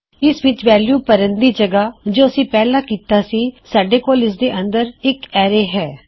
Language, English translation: Punjabi, Instead of putting a value here, as we did before, we have an array inside